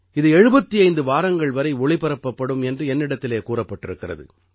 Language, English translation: Tamil, And I was told that is going to continue for 75 weeks